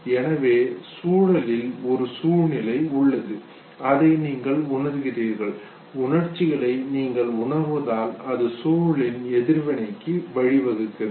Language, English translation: Tamil, So there is a situation in the environment and you perceive it, this perception of emotion okay, leads to reaction to the situation